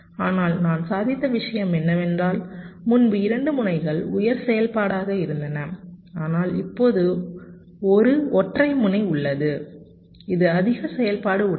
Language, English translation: Tamil, right, but what i have achieved is that earlier there are two nodes that were high activity, but now there is a single node which is high activity, right